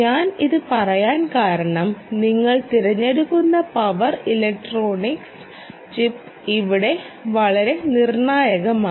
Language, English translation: Malayalam, i am stressing this because your choice of power electronic chip become very critical here